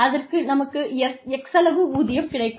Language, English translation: Tamil, I get x amount of salary